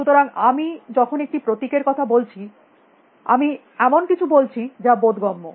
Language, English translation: Bengali, So, when I was talking about a symbol, I said something